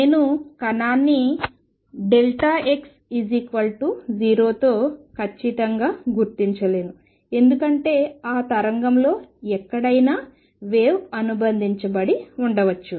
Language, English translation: Telugu, I cannot locate the particle precisely with delta x being 0, because there is a wave associated could be anywhere within that wave